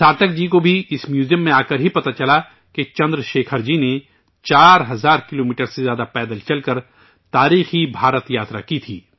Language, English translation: Urdu, Sarthak ji also came to know only after coming to this museum that Chandrashekhar ji had undertaken the historic Bharat Yatra, walking more than 4 thousand kilometers